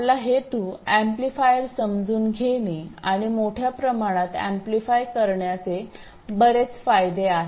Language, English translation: Marathi, That is, our aim is to realize amplifiers and amplifying by a large amount has lots of benefits